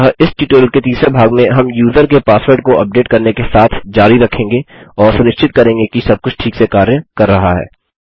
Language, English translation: Hindi, So in the 3rd part of this tutorial, we will continue with updating the users password and just making sure everythings working properly